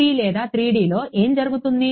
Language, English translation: Telugu, What will happen in 2D or 3D